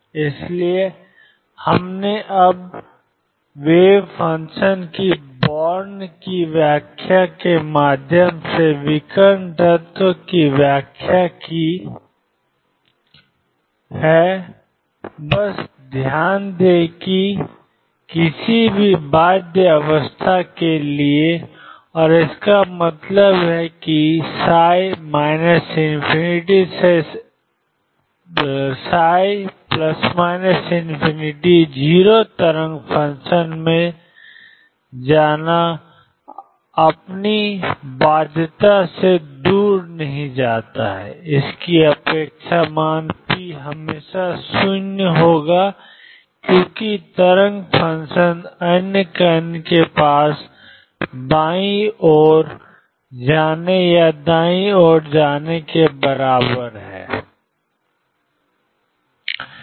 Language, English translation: Hindi, So, we have interpreted now the diagonal element through Born’s interpretation of wave function just note that for any bound state and; that means, psi plus minus infinity going to 0 wave function does not go for away its bound it’s expectation value p will always come out to be 0 because wave function other the particle has equal probably of going to the left or going to the right this